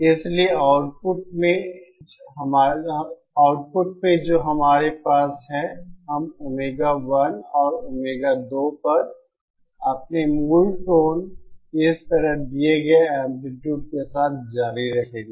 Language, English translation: Hindi, So at the output what we will have is, we will continue having our original tones at Omega 1 and Omega 2 with amplitude given like this and this